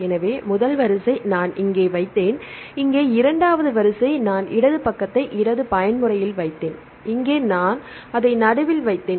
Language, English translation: Tamil, So, the first sequence; I put here, the second sequence here I put the left side at the left mode side and here I put it in the middle and here I put the right side